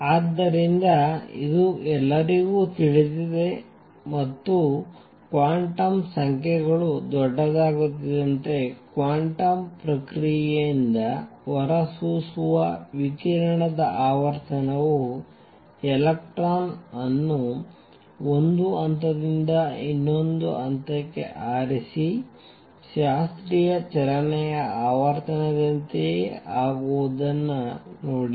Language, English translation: Kannada, So, this is well known and what the observation was that as quantum numbers become large the frequency of radiation emitted due to quantum process that is by jumping of an electron from one level to the other becomes the same as the frequency in classical motion let us see that